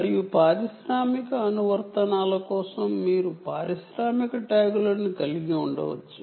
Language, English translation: Telugu, and you can have industrial tags for industrial applications